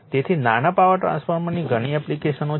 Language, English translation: Gujarati, So, small power transformer have many applications